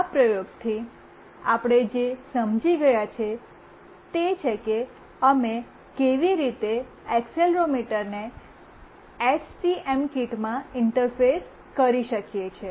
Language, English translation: Gujarati, From this experiment, what we have understood is that how we can interface the accelerometer to the STM kit